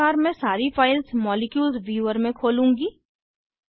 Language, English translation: Hindi, Likewise, I will open all the files with Molecules viewer Observe the compounds in 3D